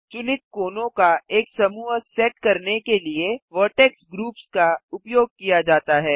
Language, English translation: Hindi, Vertex groups are used to group a set of selected vertices